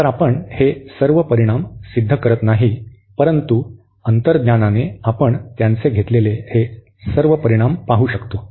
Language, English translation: Marathi, So, we are not proving all these results, but by intuition we can see all these results that they hold